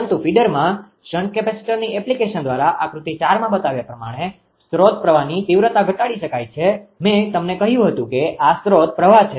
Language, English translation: Gujarati, But as shown in figure 4 by the application of shunt capacitor to a feeder, the magnitude of the source current can be reduced I told you that this is the source current